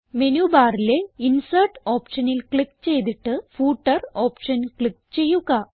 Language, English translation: Malayalam, Now click on the Insert option in the menu bar and then click on the Footer option